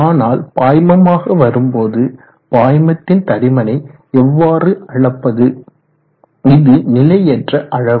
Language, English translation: Tamil, But in the case of the fluid what is the thickness of the fluid, now that is an uncertain quantity